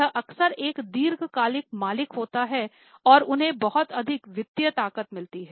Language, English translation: Hindi, This is often a long term owner and they have got lot of financial strength